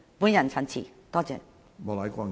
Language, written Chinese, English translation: Cantonese, 我謹此陳辭，多謝。, I so submit . Thank you